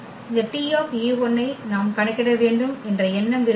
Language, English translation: Tamil, The idea was that we compute this T e 1